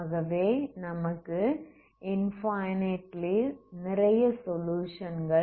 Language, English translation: Tamil, So you have infinite there are many solutions, okay